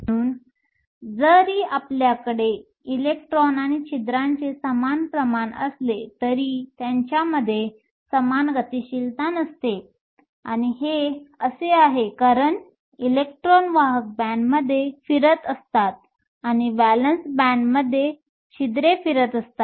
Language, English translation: Marathi, So, even though we have equal concentration of electrons and holes, they do not have the same mobility; and this is because your electrons are moving in the conduction band, and the holes are moving in the valance band